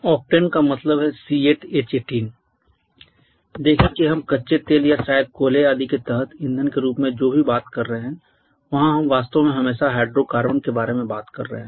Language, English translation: Hindi, Octane means C8 H18 see whatever we are talking about as fuels under crude oil or maybe coals etc we are actually always talking about hydrocarbons